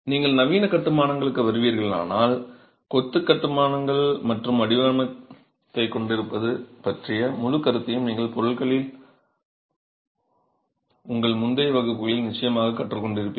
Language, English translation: Tamil, If you come to modern constructions the whole concept of coarsed masonry and having a pattern is something that you would have definitely learned in your earlier classes in materials